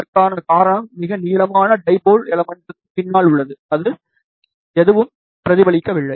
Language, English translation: Tamil, The reason for that is behind the longest dipole element, there is a nothing, which is reflecting back